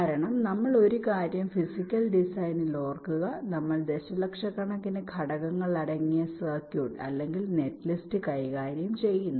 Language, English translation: Malayalam, because one thing we remember: in physical design we are tackling circuit or netlist containing millions of millions of components